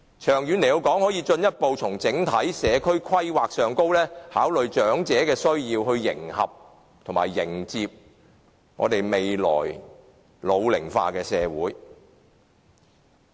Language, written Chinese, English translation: Cantonese, 長遠來說，政府可以進一步從整體社區規劃方面考慮長者的需要，以迎合及迎接未來老齡化的社會。, In the long run the Government can further consider the needs of the elderly from the perspective of overall community planning in order to meet the ageing society in the future